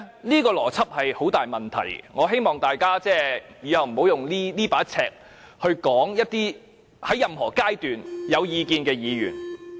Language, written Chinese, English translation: Cantonese, 這個邏輯有很大問題，我希望大家以後不要用這把尺去批評在任何階段想表達意見的議員。, This logic is highly problematic . I hope that Members will not use this as a yardstick to criticize any Members who wish to present their views at any stage